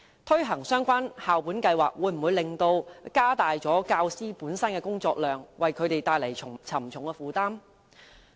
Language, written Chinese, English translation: Cantonese, 推行相關校本計劃會否加大教師的工作量，為他們帶來沉重的負擔呢？, Will the implementation of the relevant school - based programmes increase the workload of teachers and exert heavy pressure on them?